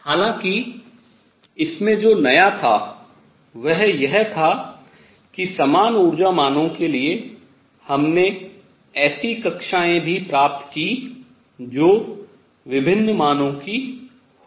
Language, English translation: Hindi, However, what was new in this was that for the same energy values we also obtained orbits which could be of different values